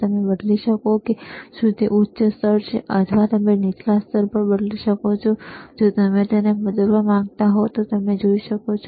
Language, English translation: Gujarati, You can change the to whether it is a high level, or you can change it to low level, again if you want to change it you can see